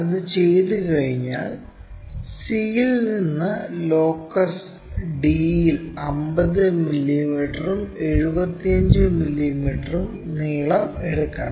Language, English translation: Malayalam, Once that is done, we have to make 50 mm and 75 mm distances on locus d from c